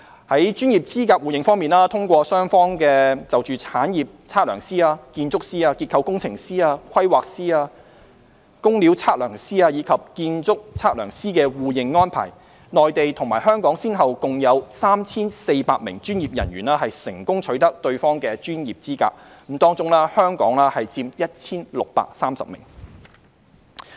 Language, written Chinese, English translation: Cantonese, 在專業資格互認方面，通過雙方就產業測量師、建築師、結構工程師、規劃師、工料測量師，以及建築測量師的互認安排，內地與香港先後共有近 3,400 名專業人員成功取得對方的專業資格，當中香港人佔 1,630 名。, On mutual recognition of professional qualifications through the arrangements of the two sides for mutual recognition of professional qualifications of estate surveyors architects structural engineers planners quantity surveyors and building surveyors about 3 400 professionals from the Mainland and Hong Kong have successfully obtained the professional qualifications of the other side and among them 1 630 are Hong Kong people